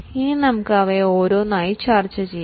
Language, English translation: Malayalam, Now let us see or discuss them one by one